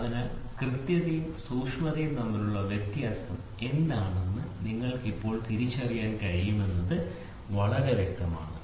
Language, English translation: Malayalam, So, now, it is very clear you should be now able to distinguish what are the difference between accuracy and precision